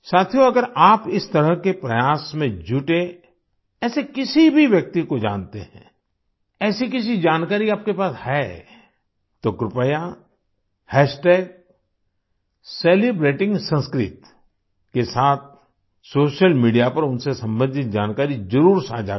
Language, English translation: Hindi, Friends, if you know of any such person engaged in this kind of effort, if you have any such information, then please share the information related to them on social media with the hashtag Celebrating Sanskrit